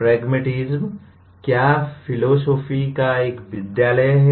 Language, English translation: Hindi, What does pragmatism is one school of philosophy